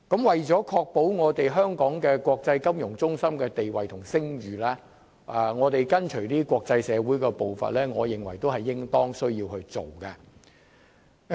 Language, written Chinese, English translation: Cantonese, 為維護香港國際金融中心的地位和聲譽而跟隨國際社會的步伐，我認為也是應當要做的。, As I see it staying in step with the international community to uphold Hong Kongs status and reputation as an international financial centre is what we should do